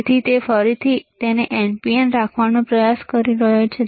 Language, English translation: Gujarati, So, again he is trying to keep it NPN